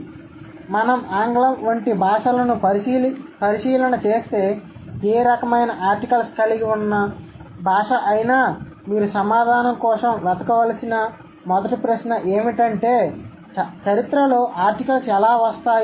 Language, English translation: Telugu, So, if we approach languages like English, any language which hosts any kind of article, the first question that you might seek for an answer is that how do articles come about in history